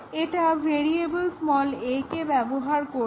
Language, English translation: Bengali, It uses variable a